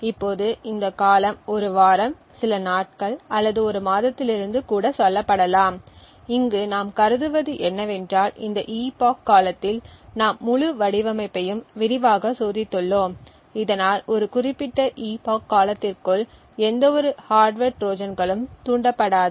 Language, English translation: Tamil, Now this duration could be anywhere say from 1 week, few days or even a month and what we assume here is that this during this epoch period we have extensively tested the entire design so that no hardware Trojans get triggered within this a particular epoch period